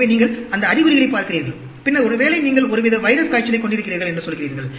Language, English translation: Tamil, So, you look at those symptoms and then, you say, probably you have some sort of a viral fever going on